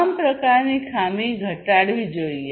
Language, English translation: Gujarati, And defects of all kinds should be reduced